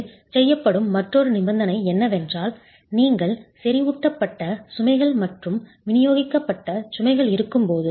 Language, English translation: Tamil, Another condition in which this is done is when you have concentrated loads versus distributed loads